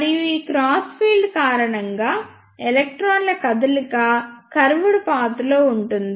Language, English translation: Telugu, And because of these crossed field, the movement of electrons will be in a curved path